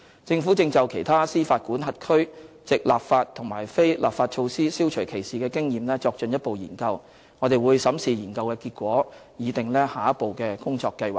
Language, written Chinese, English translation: Cantonese, 政府正就其他司法管轄區藉立法和非立法措施消除歧視的經驗作進一步研究，我們會審視研究結果，擬訂下一步工作計劃。, The Government has commenced the further study on the experience of other jurisdictions in implementing measures to eliminate discrimination both legislative and non - legislative ones and we shall examine the findings of the study and draw up our plan for the next stage of work